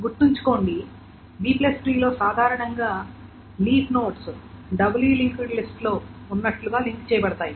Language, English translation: Telugu, Remember the B plus is generally the leaves are linked as in a doubly link list